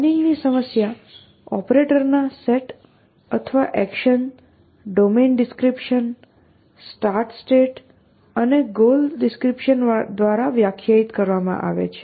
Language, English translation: Gujarati, A planning problem is defined by a set of operators or actions a domain description, starts state and a goal description essentially